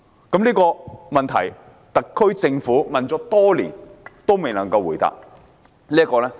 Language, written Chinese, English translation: Cantonese, 對於特區政府迴避保險的問題，我甚感失望。, I am very disappointed that the SAR Government has dodged the issue of insurance